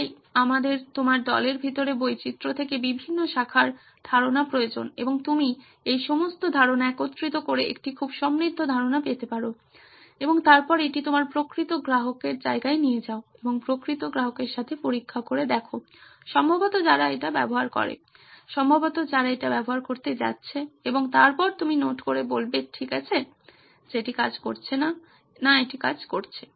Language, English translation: Bengali, So we need ideas from different disciplines from diversity inside your team and you combine all these ideas to get a very rich idea and then take it to your actual customer place and test it out with real customers who probably uses, who are probably going to use it and then you note down saying okay this is not working, this is working